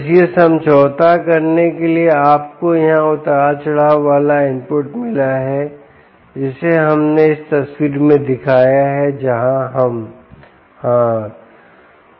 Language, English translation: Hindi, just to compromise ah that you got a fluctuating input here, which we showed in this picture ah, where we ah